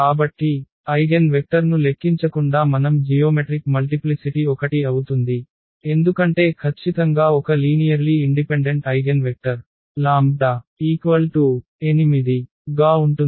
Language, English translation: Telugu, So, without calculation of the eigenvectors as well we can claim that the geometric multiplicity will be 1, because definitely there will be one linearly independent eigenvector corresponding to this lambda is equal to 8